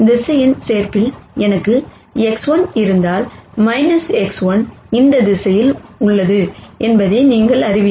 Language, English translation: Tamil, From vector addition you know that if I have X 1, minus X 1 is in this direction